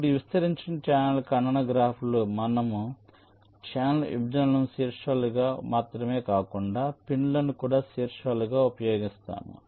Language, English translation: Telugu, now, in this extended channel intersection graph, we use not only the channel intersections as vertices, but also the pins as vertices